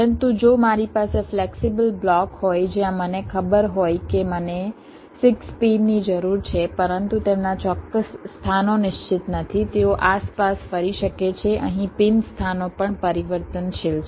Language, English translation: Gujarati, but if i have a flexible block where i know that there are six pins i need, but their exact locations are not fixed, they can move around